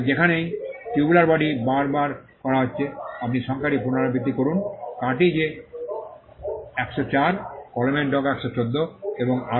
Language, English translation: Bengali, Wherever tubular body is repeated, you repeat the number, in cartridge is 104, pen tip is 114 and so on